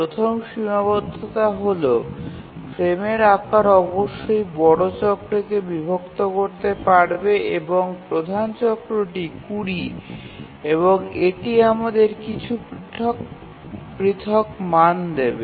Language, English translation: Bengali, The first constraint is that the frame size must divide the major cycle and measure cycle is 20